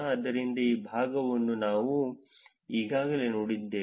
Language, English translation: Kannada, So, this part we already saw